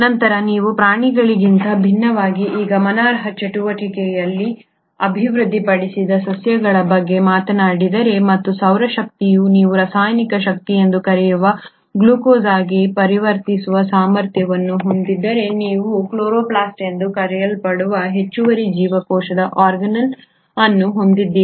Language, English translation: Kannada, Then if you talk about plants which unlike animals have developed this remarkable activity and ability to convert solar energy into what you call as the chemical energy which is the glucose, you have an additional cell organelle which is called as the chloroplast